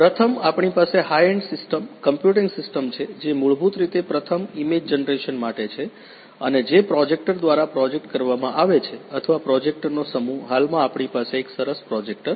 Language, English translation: Gujarati, First one is the we have the high end system, computing system basically for the image first image generation and which is basically projected through a projector or a set of projectors will be good one at present we have one projector